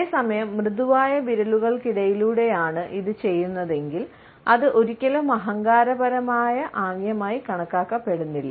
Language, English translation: Malayalam, At the same time, if we are doing it with soft fingers, we find that it is never considered as an arrogant gesture